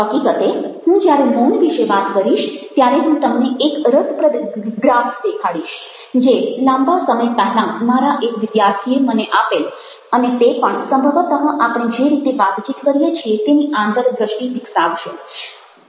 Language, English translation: Gujarati, in fact, when i talk about silence, i will show you a interesting graph which, long time back, one of my student shared with me and that also probably will give us insights into the way we converse